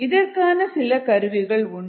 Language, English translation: Tamil, there are a few online methods